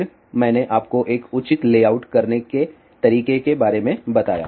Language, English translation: Hindi, Then I did mention to you about how to do a proper layout